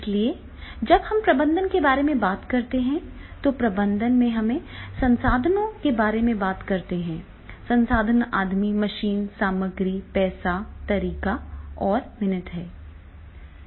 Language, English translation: Hindi, So therefore when we are, when we say that is the managing, then in managing we talk about the resources, the resources are that man, machine, material, money, method and minutes